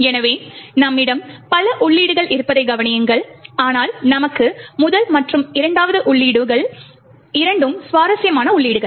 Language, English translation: Tamil, So, notice that we have several entries over here but two interesting entries for us is the first and second